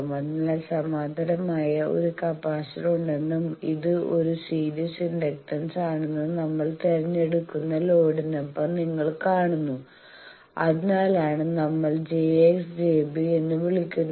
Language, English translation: Malayalam, So, you see with the load we choose that there is a capacitor in parallel and this is a series inductance that is why we are calling J X and j b